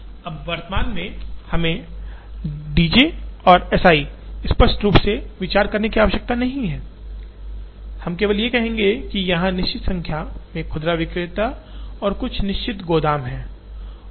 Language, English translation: Hindi, Now, at present we need not consider the D j’s and S i’s explicitly, we would simply say, that there are certain numbers of retailers and certain number of warehouses